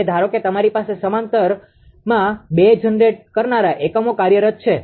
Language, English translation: Gujarati, Now, suppose you have two generating units operating in parallel